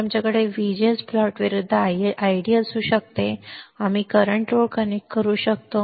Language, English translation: Marathi, So, we can have ID versus VGS plot and we can connect the current line